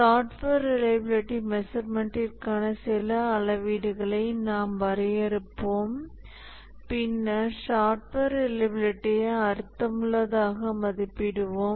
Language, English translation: Tamil, And then we'll define some metrics for software reliability measurement